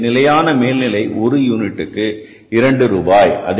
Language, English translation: Tamil, So fixed overall per unit is 2 rupees